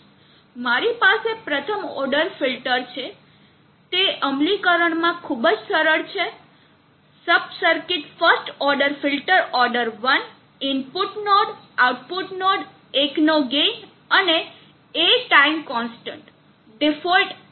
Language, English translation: Gujarati, I have a first order filter, it is very simple in implementation sub circuit first order, filter order 1 input node, output node, gain of one and A time constant default one